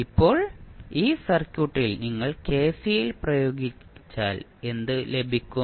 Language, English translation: Malayalam, Now, if you apply kcl in this circuit what you can do